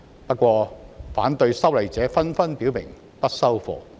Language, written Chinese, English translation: Cantonese, 不過，反對修例者紛紛表明"不收貨"。, However people opposing the legislative amendment do not accept the Governments response